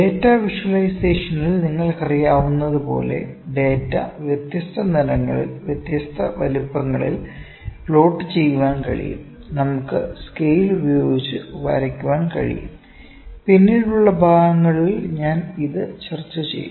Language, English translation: Malayalam, As, you know in data visualisation we also plot the data in different colours, different sizes, we can show different we can also cheat with scale cheating with scales I will discuss that